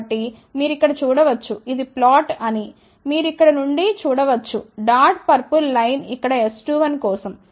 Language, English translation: Telugu, So, you can see here this is the plot for as you can see from here ah dot purple line here is for S 2 1